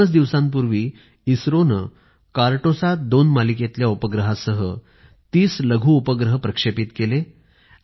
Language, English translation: Marathi, Just two days ago, ISRO launched 30 Nano satellites with the 'Cartosat2 Series Satellite